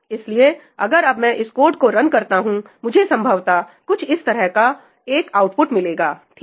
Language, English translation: Hindi, So, if I run this code now, I will most probably see an output like this, right